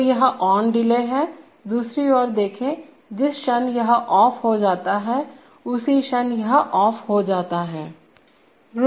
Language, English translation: Hindi, So this is the ON delay, on the other hand, see, the moment this becomes off, so the moment this becomes off